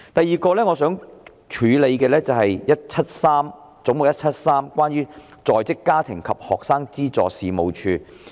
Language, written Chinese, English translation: Cantonese, 此外，我想處理的是"總目 173—— 在職家庭及學生資助事務處"。, In addition what I wish to deal with is Head 173―Working Family and Student Financial Assistance Agency